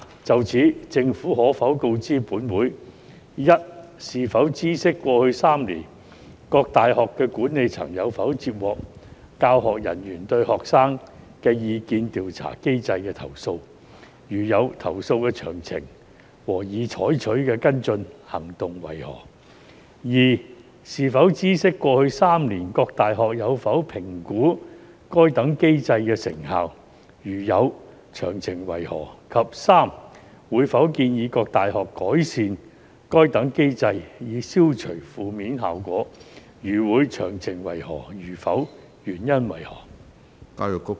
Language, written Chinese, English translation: Cantonese, 就此，政府可否告知本會：一是否知悉，過去3年，各大學的管理層有否接獲教學人員對學生意見調查機制的投訴；如有，投訴的詳情和已採取的跟進行動為何；二是否知悉，過去3年，各大學有否評估該等機制的成效；如有，詳情為何；及三會否建議各大學改善該等機制，以消除負面效果；如會，詳情為何；如否，原因為何？, In this connection will the Government inform this Council 1 whether it knows if the managements of various universities received in the past three years complaints from their teaching staff about the student opinion survey mechanisms; if they did of the details of such complaints and the follow - up actions taken; 2 whether it knows if the various universities evaluated in the past three years the effectiveness of such mechanisms; if they did of the details; and 3 whether it will recommend the various universities improve such mechanisms so as to eliminate any negative effect; if so of the details; if not the reasons for that?